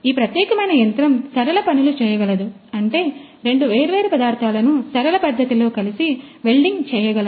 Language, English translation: Telugu, So, this particular machine is able to do linear jobs; that means, that two different materials it can weld together in a linear fashion